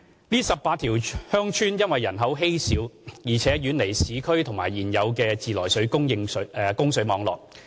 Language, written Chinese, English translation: Cantonese, 該18條鄉村人口稀少，並且遠離市區及現有的自來水供水網絡。, These 18 villages have sparse population and are far away from both urban areas and existing treated water supply networks